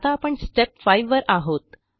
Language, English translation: Marathi, We are in step 5 now